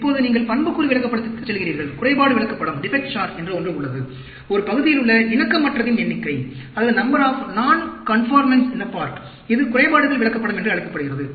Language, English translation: Tamil, Now, you go to attribute chart, there is something called defect chart; number of non conformance in a part, that is called defects chart